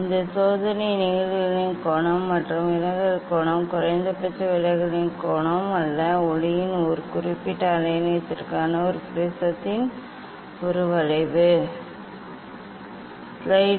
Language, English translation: Tamil, this experiment is draw angle of incidence versus angle of deviation; not angle of minimum deviation; this curve of a prism for a particular wavelength of light